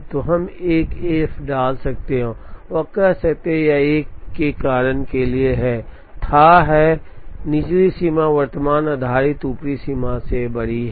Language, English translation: Hindi, So, we could put an f and say that, it is fathomed for the same reason, that the lower bound is bigger than the current based upper bound